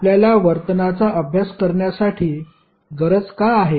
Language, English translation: Marathi, Why we want to study the behaviour